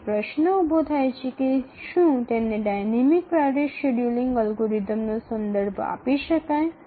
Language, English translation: Gujarati, So how do we really call it as a dynamic priority scheduling algorithm